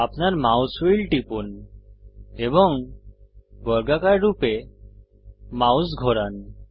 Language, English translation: Bengali, Press down your mouse wheel and move the mouse in a square pattern